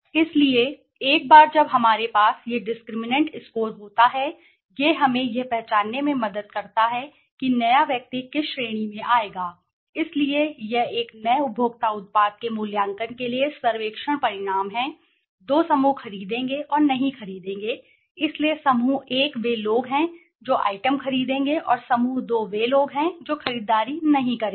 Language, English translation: Hindi, So once we have this discriminant score with us it helps us to identify whether the new person would fall into which category right so this is the survey result the for the evaluation of a new consumer product right, the two groups are would purchase right and would not purchase so the group 1 are people who would purchase the item and the group 2 are the people who would not purchase